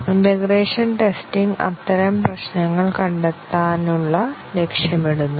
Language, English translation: Malayalam, And integration testing, targets to detect such problems